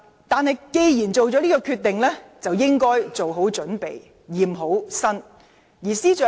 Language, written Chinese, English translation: Cantonese, 她既然做了這個決定，就應該做好準備，驗明正身。, As she had already made the decision she should be prepared to undergo a thorough check